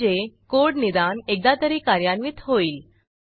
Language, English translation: Marathi, So, the code will be executed at least once